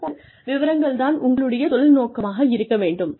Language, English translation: Tamil, Something like that, would be your career objective